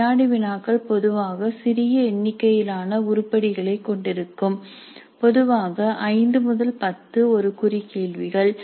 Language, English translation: Tamil, Prices normally consists of a small number of items, 5 to 10 one mark questions